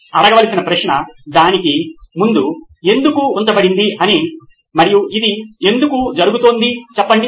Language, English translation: Telugu, The question to ask is put a “why” in front of it and say why is this happening